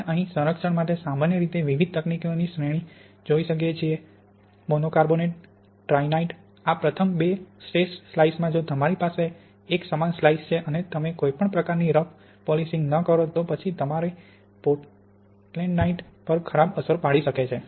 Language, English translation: Gujarati, We can see over here a series of different techniques generally for preserving the monocarbonate and the ettringite, these first two of the slice Of the the best but if you have a slice and you do not do any sort of rough polishing then you can have a bad impact on your Portlandite